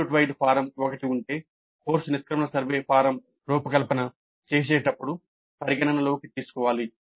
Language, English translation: Telugu, Then institute wide form if one exists must be taken into account while designing the course exit survey form